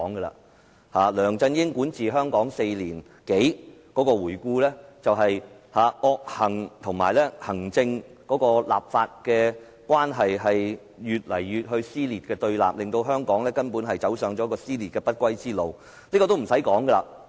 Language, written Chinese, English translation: Cantonese, 回顧梁振英管治香港4年多，是惡行，以及行政立法關係越見撕裂和對立，令香港走上撕裂的不歸路。, Hong Kong was filled with vices and worsening conflicts and confrontations between the executive and the legislature over the past four years under LEUNG Chun - yings governance which has taken the city to the dead end of contradiction